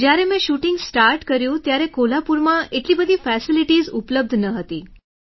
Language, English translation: Gujarati, When I started shooting, there were not that many facilities available in Kolhapur